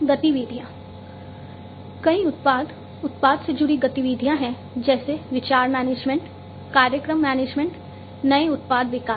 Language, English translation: Hindi, Activities, there are many products product associated activities such as idea management, program management, new product development, and so on